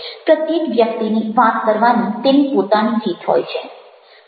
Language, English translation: Gujarati, each one is having their own way of talking